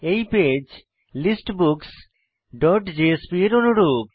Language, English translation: Bengali, This page is similar to that of listBooks dot jsp